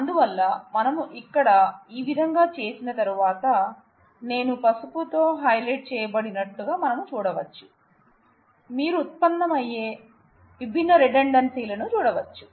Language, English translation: Telugu, So, once we have done that then we have here, we can see I have highlighted with yellow, you can see the different redundancies that are arising